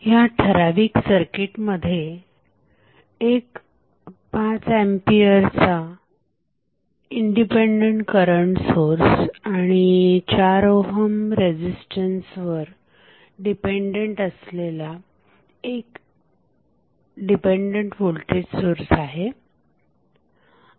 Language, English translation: Marathi, Now, let us see this particular circuit where you will see we have one independent current source of 5 ampere value additionally we have one voltage source which is dependent voltage source and the value of voltage is depending upon the voltage across 4 ohm resistance